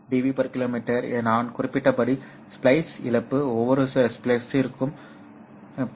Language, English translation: Tamil, 2 db per kilometer the splice loss as I mentioned will be around 0